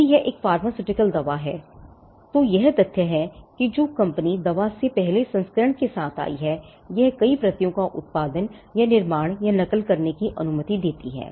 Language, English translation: Hindi, If it is a pharmaceutical drug the fact that the company came up with the first version of the drug allows it to make or mass produce or duplicate multiple copies